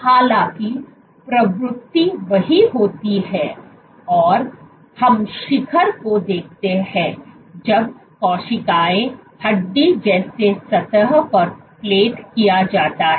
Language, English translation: Hindi, However, the trend is the same we observe peak when cells are plated on bone like surfaces